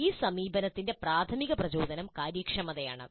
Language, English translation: Malayalam, So the primary motivation for this approach is efficiency